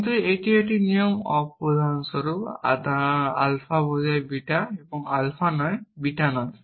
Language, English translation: Bengali, say something like alpha is to beta is equivalent to alpha implies beta and beta implies